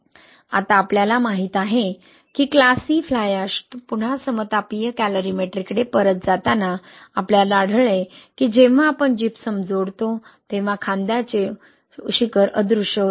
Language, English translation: Marathi, Now we know that class C fly ash, again going back to isothermal calorimetry, we found that when we added the Gypsum, the shoulder peak disappear, right